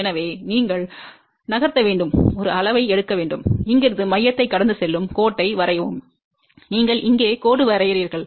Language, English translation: Tamil, So, you have to move, take a scale, draw the line from here passing through the center and you draw the line here